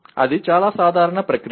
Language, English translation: Telugu, That is a very normal process